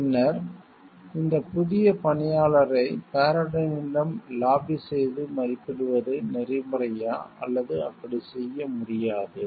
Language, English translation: Tamil, And then having this new employee to lobby for Paradyne to assessing was it ethical or not can we do it in that way